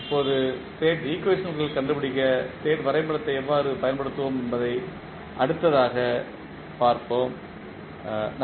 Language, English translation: Tamil, Now, we will see next how we will use the state diagram to find out the state equations, thank you